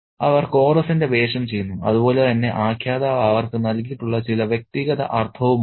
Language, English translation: Malayalam, So, they play the role of the chorus as well as have certain individualistic meaning bestowed on them by the narrator